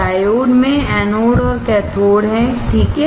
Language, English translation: Hindi, Diode has anode and cathode, right